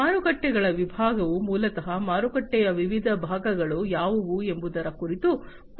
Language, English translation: Kannada, Markets segment basically talks about what are the different segments of the market that has to be considered